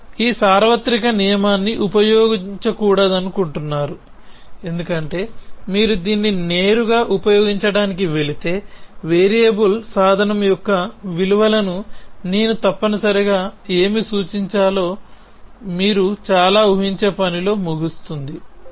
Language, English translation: Telugu, You do not want to use this rule of universal because if you go to use it directly, then you would end up during lot of guess work as to what should I instantiate the values of the variable tool essentially